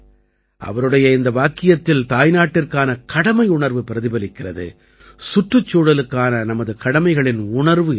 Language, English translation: Tamil, ' There is also a sense of duty for the motherland in this sentence and there is also a feeling of our duty for the environment